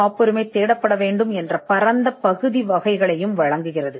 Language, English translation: Tamil, And it also gives some broad categories of areas where the patent has to be searched for